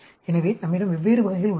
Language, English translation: Tamil, So, we have different types